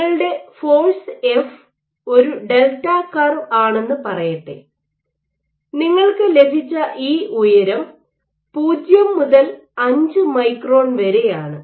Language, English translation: Malayalam, One more important point is let us say your F force is delta curve, you have got this height and this height is from 0 to 5 microns